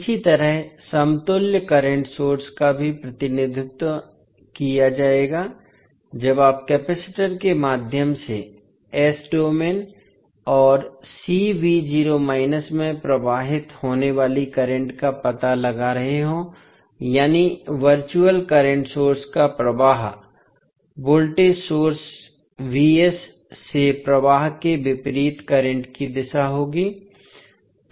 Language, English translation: Hindi, Similarly, the equivalent current source will also be represented when you are finding out the current flowing through the capacitor in s domain and C v naught that is the virtual current source will have the direction of current opposite to the flowing from the voltage source that is V s